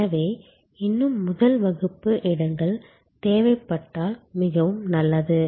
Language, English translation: Tamil, So, if there a more first class seats are in demand very good